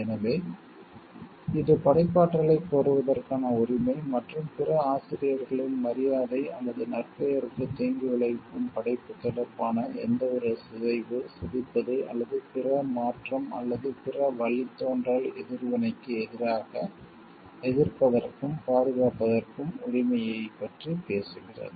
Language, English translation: Tamil, So, it talks of the right to claim authorship, and also the right to object and to protect against any mutilation, deformation or other modification or other derogatory action in relation to the work that would be prejudicial to the other authors honour or reputation